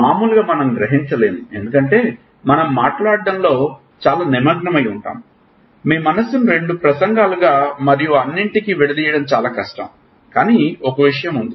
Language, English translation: Telugu, Normally we do not realize because we are so lost in speaking that you it is very difficult to dissociate your mind into two speech and all, but the there is a thing